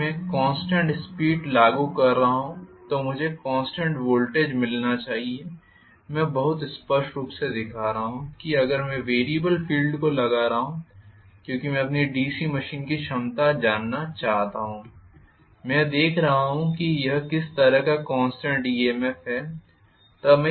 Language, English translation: Hindi, If I am applying constant field current I should have the constant voltage being generated, I am showing very clearly if I am putting variable field current because I want to know the capability of my DC machine, I am rather looking at what kind of back EMF constant it has, or EMF constant it has, that I will be able to get from this is not it